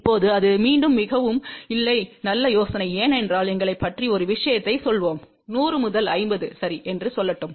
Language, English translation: Tamil, Now, that is again a not a very good idea because let us say thing about us , we want to go from let say 100 to 50 ok